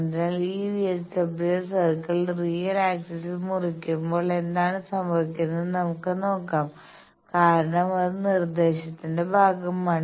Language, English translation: Malayalam, So, these VSWR circle when it cuts real axis let us see what happens because that was part of the instruction